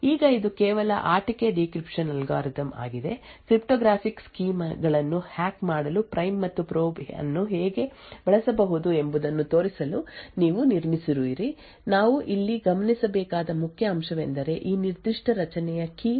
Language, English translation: Kannada, Now this is just a toy decryption algorithm, which you have just built up to show how prime and probe can be used to break cryptographic schemes, the important point for us to observe over here is that this lookup to this particular array is on a address location which is key dependent